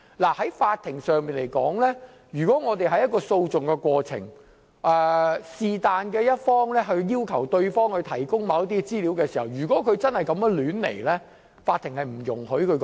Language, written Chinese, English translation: Cantonese, 以法庭來說，於訴訟的過程中，任何一方要求對方提供某些資料時，如果真的是胡亂提出，法庭是不容許的。, As far as the law court is concerned when one party requests the other side to provide certain information during the process of litigation if the request is made randomly the court will not permit it